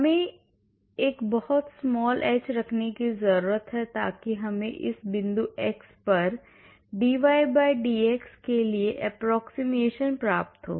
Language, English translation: Hindi, So, we need to keep a very small h, so that we get very good approximation for dy/dx at this point x, at this point x